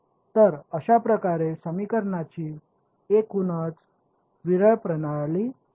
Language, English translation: Marathi, So, that is how you get a overall sparse system of the equations